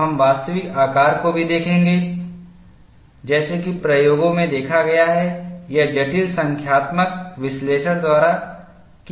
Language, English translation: Hindi, You will have to look at the actual shape, we will also look at the actual shape as seen in experiments or as done by complicated numerical analysis